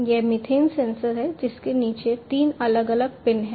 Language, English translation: Hindi, This is the methane sensor with three different pins at the bottom of it